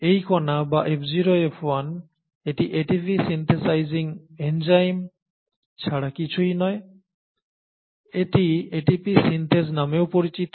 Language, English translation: Bengali, It is this particle or F0, F1 it is nothing but the ATP synthesising enzyme, also called as ATP Synthase